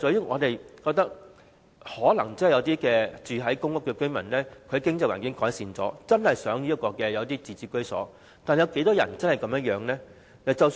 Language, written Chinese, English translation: Cantonese, 我們覺得，可能有一些公屋居民在改善了經濟環境後，便想擁有自置居所，但真的有多少人是這樣想呢？, In our view some PRH residents having improved their financial situation may aspire to home ownership . But how many people really think so?